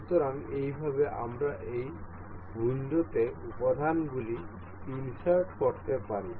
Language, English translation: Bengali, So, in this way we can insert components in this window